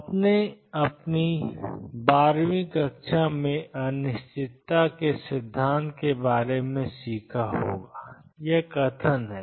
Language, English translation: Hindi, You may have learned about uncertainty principle in your 12 th grade this is the statement